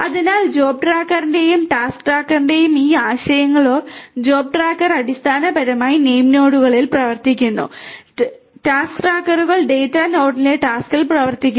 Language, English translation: Malayalam, So, are these concepts of the job tracker and task tracker, the job tracker are basically running at the name nodes and the task trackers are running in the task in the data node right